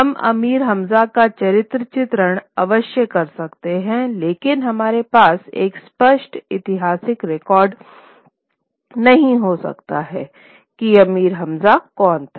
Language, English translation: Hindi, We can certainly have a characterization of Amir Hansza, but we cannot have a clear historical record as to who Amir Hamza was